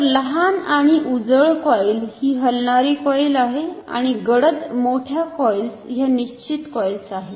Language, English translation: Marathi, So, smaller and brighter coil is the moving coil and the darker bigger coils are the fixed coils